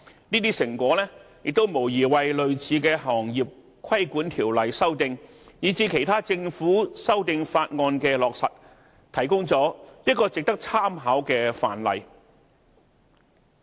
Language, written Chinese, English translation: Cantonese, 這些成果無疑為類似的行業規管條例修訂以至其他政府修訂法案的落實，提供了一個值得參考的範例。, These results definitely provide worthy reference for amendments to trade regulation legislation of similar nature and the implementation of other amendment bills by the Government